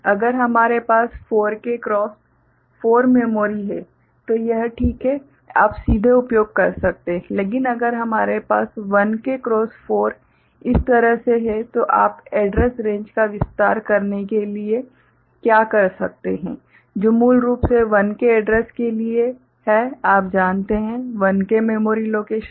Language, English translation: Hindi, If we have a 4K cross 4 memory it is fine you can directly use, but if you have 1K cross 4 like this, right; what you can do to expand the address range which originally is meant for 1K address, 1 K you know memory locations